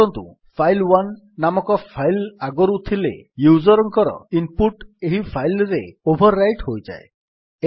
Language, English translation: Odia, If a file by name say file1 already exists then the user input will be overwritten on this file